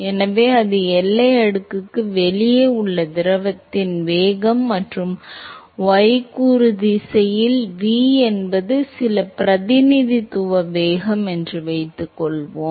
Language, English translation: Tamil, So, that is the velocity of the fluid outside the boundary layer and suppose, we say that the V is some representative velocity v in the y component direction